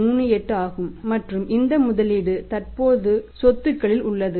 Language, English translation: Tamil, 38 this is in the receivables and this investment is in the other current assets